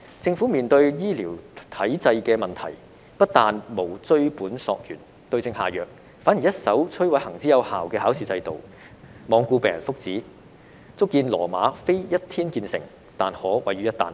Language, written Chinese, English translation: Cantonese, 政府面對醫療體制的問題，不但沒有追本溯源，對症下藥，反而一手摧毀行之有效的考試制度，罔顧病人福祉，足見羅馬非一天建成，卻可毀於一旦。, In the face of the problem with the healthcare system instead of tracing the root of the problem and prescribing the right remedy the Government is destroying the proven examination system and ignoring the well - being of patients . This shows that Rome is not built in a day but it can be destroyed overnight